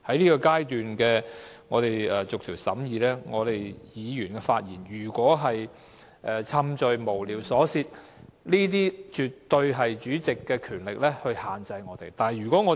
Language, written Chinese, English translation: Cantonese, 現在是我們逐一審議修正案的階段，議員的發言如果是冗贅、無聊、瑣屑，主席絕對有權力限制我們。, It is now the stage for us to examine the amendment one by one . If Members speeches are irrelevant meaningless and frivolous the Chairman absolutely has the power to impose limits